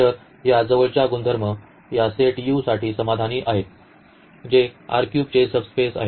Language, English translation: Marathi, So, these closer properties are satisfied for this set U which is a subspace of now of R 3